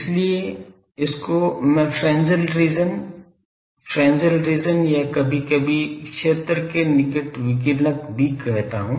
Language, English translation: Hindi, So, this region I will say Fresnel region, Fresnel region or sometimes called radiative near field